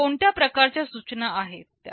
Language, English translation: Marathi, What kind of instructions are they